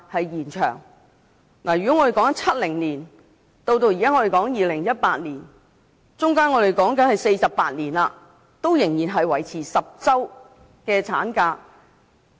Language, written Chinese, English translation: Cantonese, 由1970年到現在2018年，經歷了48年，產假仍然維持在10個星期。, The duration of the maternity leave has remained at 10 weeks for 48 years from 1970 to 2018